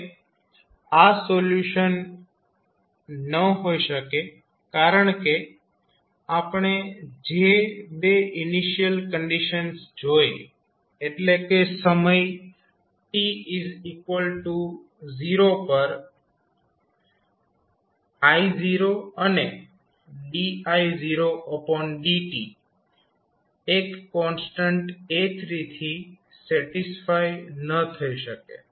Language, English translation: Gujarati, Now, this cannot be a solution because the 2 initial conditions which we saw that is I at time t is equal to 0 and di by dt at time t is equal to 0 cannot be satisfied with single constant a3